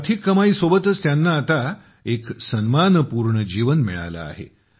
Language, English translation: Marathi, Along with income, they are also getting a life of dignity